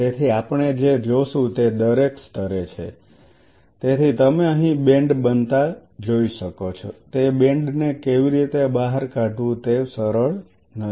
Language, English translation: Gujarati, So, what we will be seeing is at every level, so you may see a band forming out here now how to pull out that band this is not easy